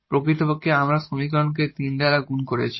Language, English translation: Bengali, Indeed, we have multiplied by the equation this by 3 here